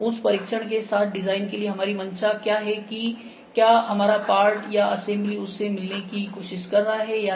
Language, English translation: Hindi, What is our intent for design against that with test whether our part or assembly is trying to meet that or not